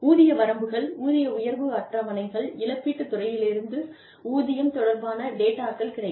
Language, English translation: Tamil, Pay ranges, pay increase schedules, availability of pay related data, from the compensation department